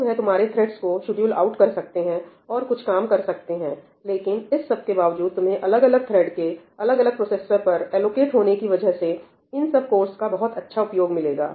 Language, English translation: Hindi, So, they may schedule out your threads and do some work, but barring that, you will get good utilization of all the cores with different threads being allocated different processors